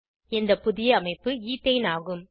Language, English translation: Tamil, The new structure is Ethene